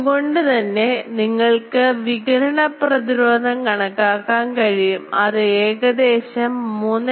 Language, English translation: Malayalam, So, you can calculate the radiation resistance turns out to be 3